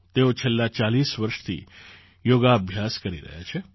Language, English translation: Gujarati, She has been practicing yoga for the last 40 years